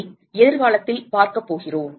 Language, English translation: Tamil, We are going to see that in the future